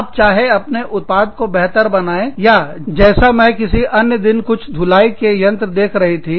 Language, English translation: Hindi, You either make the product better, or like, I was looking through, some washing machines, the other day